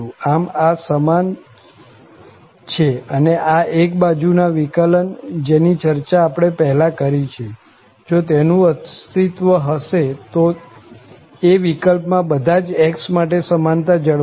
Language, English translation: Gujarati, So, these are equal and these one sided derivatives, which we have discussed before, if they exist, in that case, the equality holds for all x